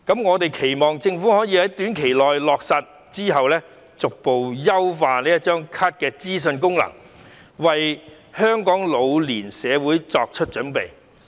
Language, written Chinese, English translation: Cantonese, 我們期望政府可以在短期內落實，之後再逐步優化這張卡的資訊功能，為香港老年社會作出準備。, We expect that the Government will implement the silver age card scheme shortly and then gradually enhance the informative function of the card so as to prepare for Hong Kongs ageing society